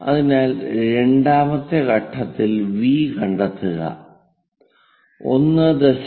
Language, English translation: Malayalam, So, in that at second point locate V because 1